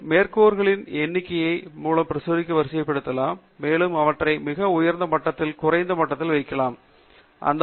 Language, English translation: Tamil, And you can also sort the publications by the number of citations, and you can cite them from the highest level to the lowest level; highest being at the top